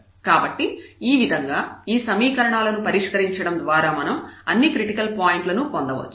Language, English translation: Telugu, So, in this way we can find all the critical points by solving these equations